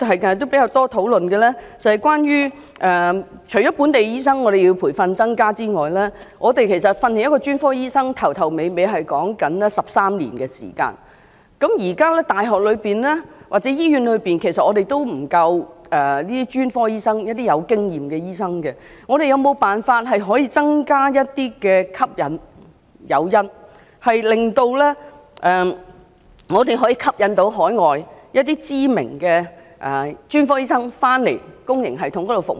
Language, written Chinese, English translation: Cantonese, 近日比較多討論關於除要增加培訓本地醫生的名額外——其實培訓一名專科醫生，從頭到尾，需要花13年的時間——現時大學或醫院裏也沒有足夠具經驗的專科醫生，我們有沒有辦法可以增加吸引力、誘因，令香港能夠吸引海外的知名的專科醫生回到香港的公營系統裏服務？, In recent days there has been much discussion about other than increasing the places for the training of local doctors―actually it needs 13 years in total to train up a specialist―as we do not have sufficient experienced specialists in Hong Kongs universities or hospitals can we add some incentives to attract renown overseas specialists to come and serve Hong Kongs public sector?